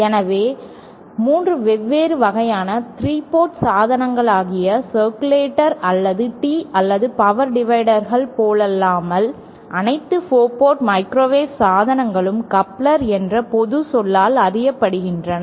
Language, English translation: Tamil, So, unlike 3 different types of devices for 3 port devices like circulators, or tees or power dividers, all 4 port microwave devices are known by the general term couplers